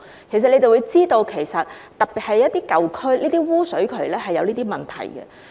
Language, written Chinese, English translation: Cantonese, 其實當局也知道，特別是在一些舊區，污水渠是有這些問題的。, In fact the authorities are also aware that such problems exist in sewers especially in some old districts